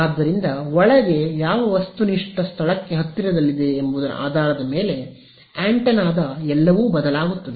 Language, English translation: Kannada, So, everything inside the antenna will change depending on what objective place it close to